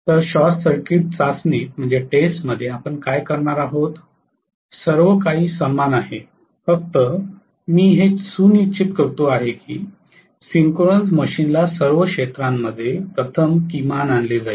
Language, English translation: Marathi, So in short circuit test what we are going to do is everything else remain the same only thing is I will make sure that first of all field of the synchronous machine is brought to a minimum